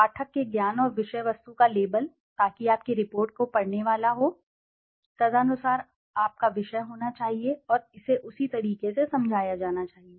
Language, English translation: Hindi, Label of knowledge and subject matter of the reader so who is going to read your report, accordingly your subject matter should be there and it should be explained in that way